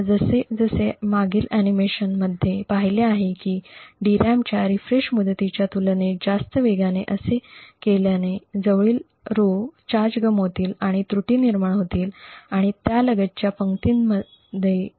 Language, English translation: Marathi, Now as we have seen in the previous animations doing so within at a rate much faster than the refresh period of the DRAM would cause the adjacent rows to lose charge and induce errors and falls in the adjacent rows